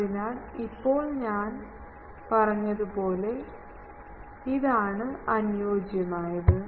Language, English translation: Malayalam, So, now this is as I said that ideal